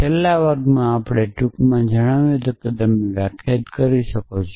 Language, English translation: Gujarati, So, in the last class, we had briefly mentioned that you could define